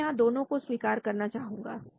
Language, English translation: Hindi, So I like to acknowledge both